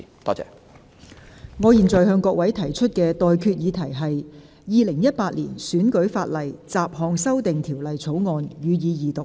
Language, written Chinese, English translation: Cantonese, 我現在向各位提出的待決議題是：《2018年選舉法例條例草案》，予以二讀。, I now put the question to you and that is That the Electoral Legislation Bill 2018 be read the Second time